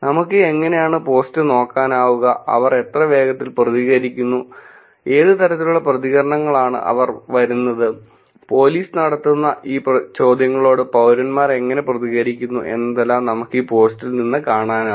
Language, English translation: Malayalam, How we can do that we could look at the post and see how fast they are responding, what kind of responses they are it is coming and how citizens are also responding to these queries that the police is making